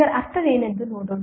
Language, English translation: Kannada, Let us see what does it mean